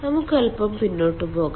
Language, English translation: Malayalam, let us go back little bit